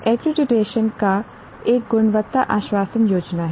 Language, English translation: Hindi, Accreditation is a quality assurance scheme